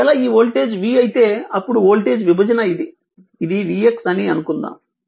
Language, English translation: Telugu, Suppose if this voltage is v right then voltage division this is v x